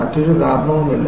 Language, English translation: Malayalam, There is no other reason